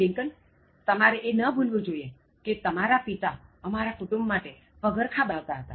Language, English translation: Gujarati, Lincoln, you should not forget that your father used to make shoes for my family